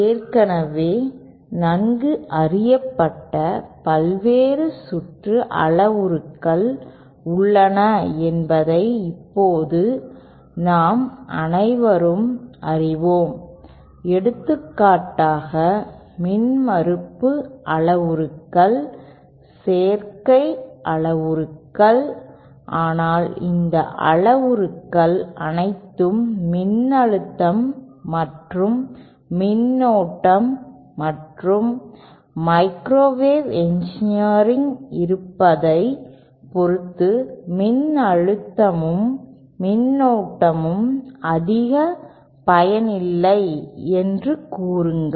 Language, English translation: Tamil, Now we all know that there are various circuit parameters that are already well known for example, the impedance parameters, the admittance parameters, but then all these parameters are dependent on the presence of voltage and current and microwave engineering we donÕtÉ let us say that voltage and current do not make much sense